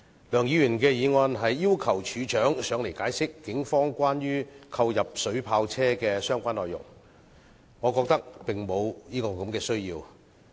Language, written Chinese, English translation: Cantonese, 梁議員的議案要求處長解釋關於警方購入水炮車的相關細則，我覺得並無需要。, Mr LEUNGs motion requests the Commissioner of Police to explain the relevant details of the purchase of vehicles equipped with water cannons . In my view such a request is unnecessary